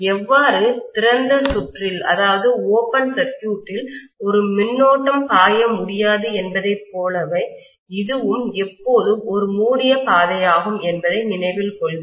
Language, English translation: Tamil, Please note that just like how a current cannot flow in an open circuit; this is also always a closed path